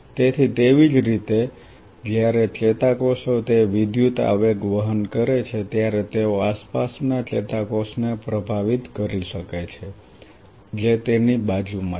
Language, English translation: Gujarati, So, similarly when the neurons are carrying those current impulses, they may influence the surrounding neuron which is by its side